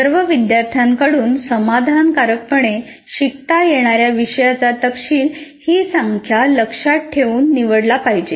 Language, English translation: Marathi, The content of the course that can be addressed satisfactorily by all students should be selected keeping this number in mind